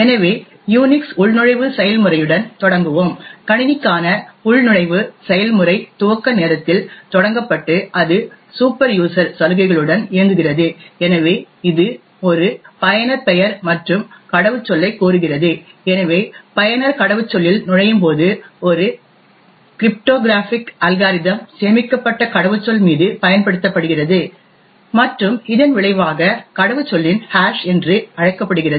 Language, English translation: Tamil, So, let us start with the Unix login process, the login process for system is started at boot time and it runs with superuser privileges, so it request for a username and password, so when the user enters the password a cryptographic algorithm is used on the password with the stored salt and the result is something known as the hash of the password